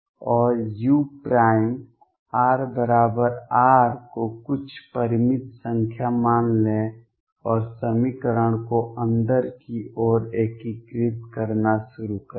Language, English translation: Hindi, And take u prime r equals R to be some finite number and start integrating the equation inward